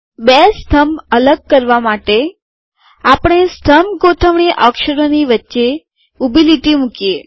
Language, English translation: Gujarati, To separate the two columns, we introduce a vertical line between the column alignment characters